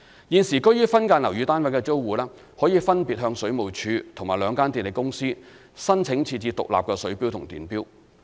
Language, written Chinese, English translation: Cantonese, 現時居於分間樓宇單位的租戶，可分別向水務署及兩間電力公司申請設置獨立水錶及電錶。, Tenants currently living in subdivided units may apply to the Water Supplies Department WSD and the two power companies for installing separate water and electricity meters